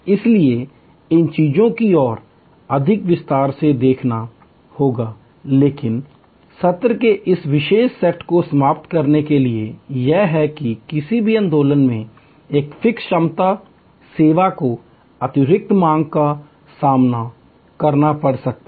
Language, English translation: Hindi, So, will have to see these things in more detail, but to conclude this particular set of session is that at any movement in time a fix capacity service may face excess demand